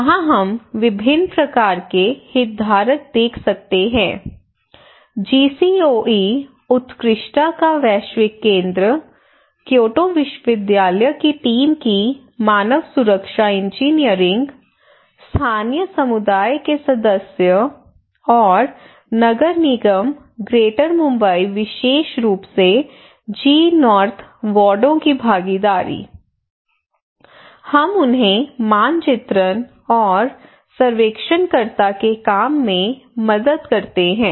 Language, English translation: Hindi, And here is the level of people different kind of stakeholders starting from our GCOE that is global centre of excellence, human security engineering of Kyoto university team and Local community members and municipal corporations Greater Mumbai especially the involvement of the G North wards, like we help them in mapping and I say, we also work as the surveyors, and explaining and introducing community the role and objective of the survey